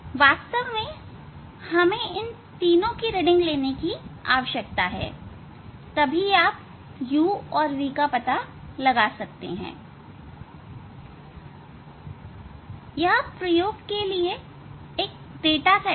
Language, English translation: Hindi, Actually, we need the reading of these three, so then you can find out u and v